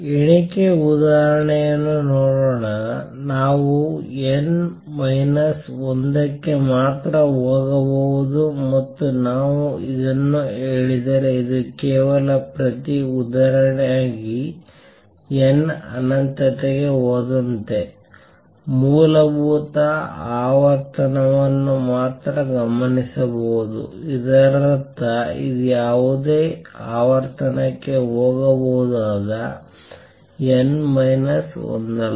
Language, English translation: Kannada, If let us see a count example, if we say that n can go to n minus one only and this is just a counter example if we say this, then as n goes to infinity only the fundamental frequency will be observed; that means, it is just not n minus one it can go to any frequency